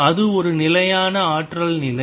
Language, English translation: Tamil, That is a fixed energy state all right